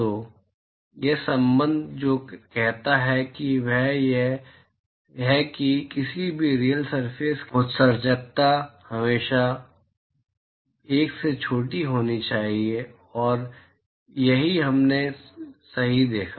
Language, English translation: Hindi, So, what this relationship says is that the emissivity of any real surface, it has to always be smaller than 1 and that is what we observed right